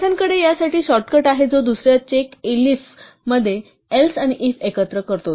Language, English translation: Marathi, Python has a shortcut for this which is to combine the else and the if into a second check elif